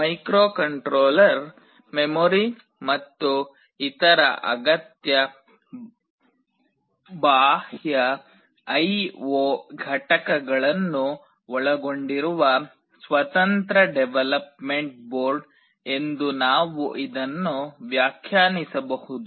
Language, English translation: Kannada, We can define it as a standalone development board containing microcontroller, memory and other necessary peripheral I/O components